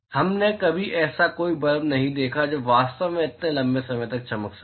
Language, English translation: Hindi, We have never seen any blub which can actually go glow for that long